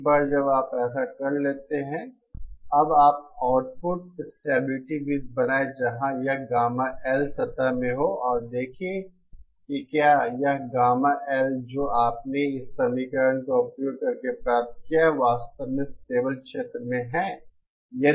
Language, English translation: Hindi, Once you do that you now draw the output stability circle where we are in the gamma L plane and see whether this gamma L that you just obtained using this equation really lies in the stable region